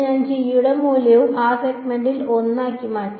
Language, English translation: Malayalam, I have substituted the value of g to be 1 in that segment right